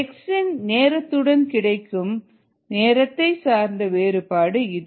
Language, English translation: Tamil, this is the variation of time with time of x